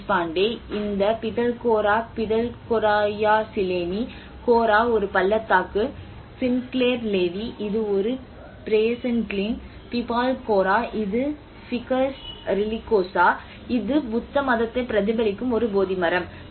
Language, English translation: Tamil, Deshpande, and where there has been many names of this Pitalkhora, Pithalkhoraya ChiLeni, Khora, is a ravine, a gorge or a glein and Sinclair Levi which is a Brazen Glein, Pipal Khora which is Ficus religiosa which is a Bodhi tree which reflected the Buddhism